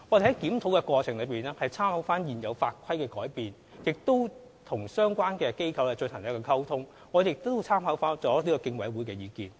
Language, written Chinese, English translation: Cantonese, 在檢討過程中，我們參考現有法規的改變，與相關機構溝通，並諮詢競委會的意見。, In the course of the review we drew reference from the changes in existing laws and regulations communicated with relevant authorities and consulted CC